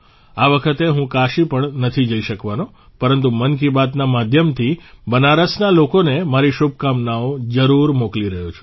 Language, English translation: Gujarati, This time I'll not be able to go to Kashi but I am definitely sending my best wishes to the people of Banaras through 'Mann Ki Baat'